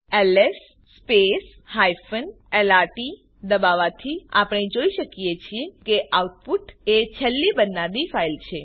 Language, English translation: Gujarati, By typing ls space hyphen lrt, we can see that output is the last file to be created